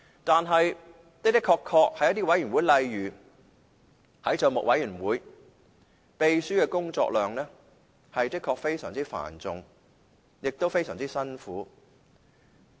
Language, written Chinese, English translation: Cantonese, 在一些委員會，例如政府帳目委員會，秘書的工作量的確是非常繁重和辛苦的。, In some committees such as the Public Accounts Committee the clerk really has to put up with the heavy workload and hard work